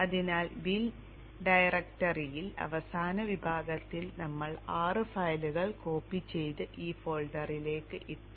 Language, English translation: Malayalam, So in the bin directory in the last session we had copied six files and put put it into this folder from the resources